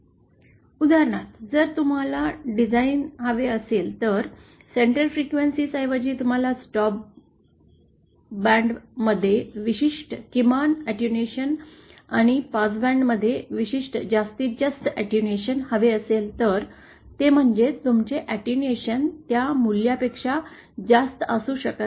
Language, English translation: Marathi, So, for example if you want a design, rather than the centre frequency, you want a certain minimum attenuation in the stop band and certain maximum attenuation in the passband, that is your attenuation cannot exceed that value